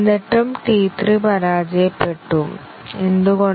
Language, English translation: Malayalam, But still, T 3 failed; why